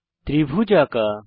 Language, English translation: Bengali, Here the triangle is drawn